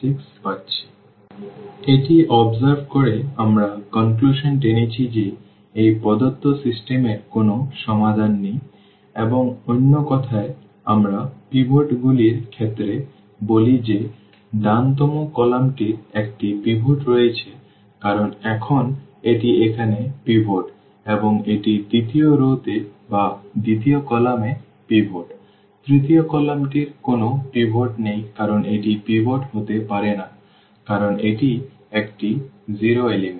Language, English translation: Bengali, So, by observing this we conclude that this system the given system has no solution and in other words in terms of the pivots we call that the right the rightmost column has a pivot because now this is the pivot here and this is the pivot in the second row or in the second column; the third column has no pivot because this cannot be pivot because this is a 0 element